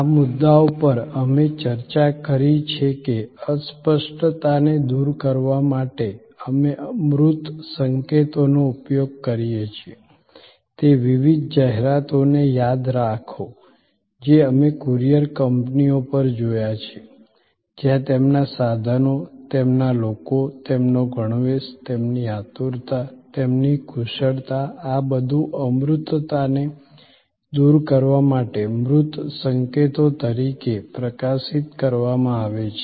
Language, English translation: Gujarati, These points we have discussed that to overcome intangibility we use tangible cues, remember those different adds we looked at of courier companies, where their equipment, their people, their uniform, their eagerness, their expertise are all highlighted as tangible cues to overcome the intangibility of the service they are providing